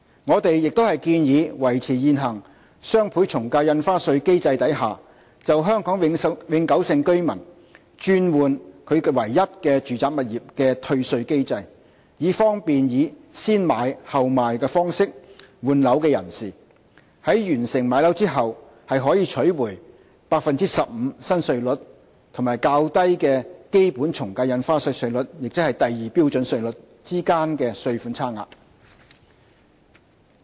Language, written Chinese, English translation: Cantonese, 我們亦建議維持現行雙倍從價印花稅機制下，為香港永久性居民轉換其唯一住宅物業而設的退稅機制，以方便以"先買後賣"方式換樓的人士，在完成賣樓後可取回 15% 新稅率與較低的基本從價印花稅稅率，即第2標準稅率之間的稅款差額。, We also propose to maintain the refund mechanism provided for under the existing DSD regime for a Hong Kong permanent resident who replaces hisher single residential property so as to cater for the situation where an owner acquires a new residential property before disposing of hisher only original residential property to be refunded the difference between stamp duties at the new rate of 15 % and the basic AVD rates ie . the lower rates at Scale 2 on completion of disposing of hisher residential property